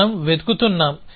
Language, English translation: Telugu, What are we looking for